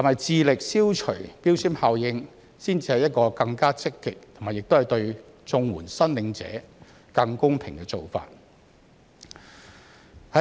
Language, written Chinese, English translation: Cantonese, 致力消除標籤效應是否才是更積極和對綜援申領者更公平的做法？, Would it be more positive and fairer to CSSA recipients by striving to eliminate the labelling effect?